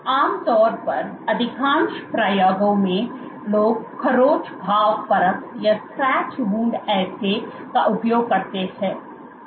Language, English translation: Hindi, Now, typically in most experiments people use the scratch wound assay